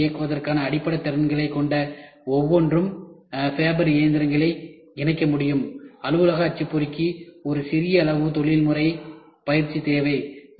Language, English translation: Tamil, Everyone with basic skills to operate a computer can operate fabber machines, office printer a small amount of professional training is required